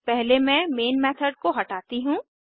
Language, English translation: Hindi, First let me clean up the Main method